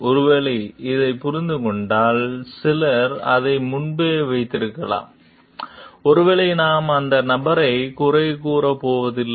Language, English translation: Tamil, Like maybe if we understand like this, some people may have done it earlier maybe we are not going to blame the person for it